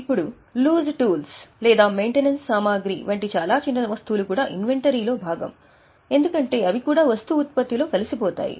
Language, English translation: Telugu, Now, apart from these very small items like loose tools or maintenance supplies, they are also part of inventory because they would be also absorbed into the product